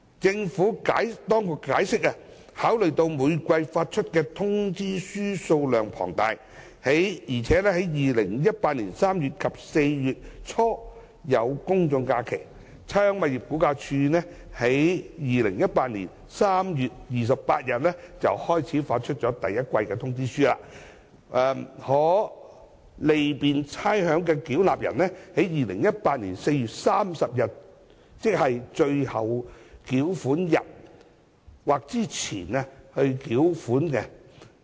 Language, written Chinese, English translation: Cantonese, 政府當局解釋，考慮到每季發出的通知書數量龐大，而且在2018年3月底及4月初有公眾假期，差餉物業估價署在2018年3月28日開始發出第一季通知書，可利便差餉繳納人在2018年4月30日或之前繳款。, The Government has explained that given the huge quantity of demand notes issued in each quarter and taking into account that there are public holidays in late March and early April 2018 RVD starts issuing the demand notes for the first quarter on 28 March 2018 which would facilitate payers to settle the payment by 30 April 2018